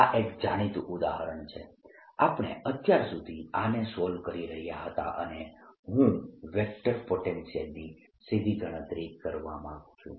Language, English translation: Gujarati, so this is the well known example we've been solving so far, and i want to calculate for the vector potential directly